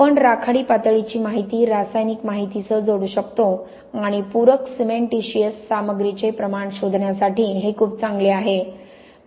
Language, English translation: Marathi, We can couple this grey level information with chemical information and this is very good for detecting the amounts of supplementary cementitious materials